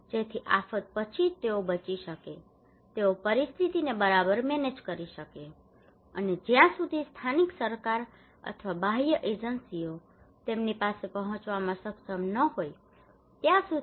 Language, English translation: Gujarati, So that just after the disaster they can survive they can manage the situation okay and until and unless the local government or external agencies are able to reach to them